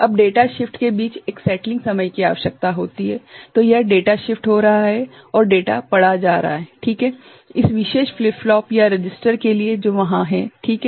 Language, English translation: Hindi, Now, a settling time is required between data shift so, that is getting data shifted and data read ok, for this particular flip flops or the register that is there right